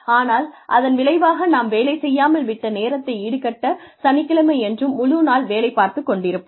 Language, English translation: Tamil, But then, in lieu of that, we will have a full day, working day on Saturday, to make up for the time, we may have lost